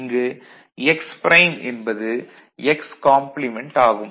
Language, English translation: Tamil, So, x prime is required complement of x is required